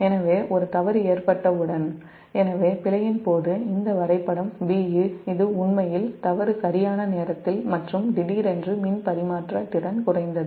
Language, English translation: Tamil, so as soon as, as soon as there is a fault, so during fault, this graph b, this is actually during fault right and suddenly the power transfer capability has decreased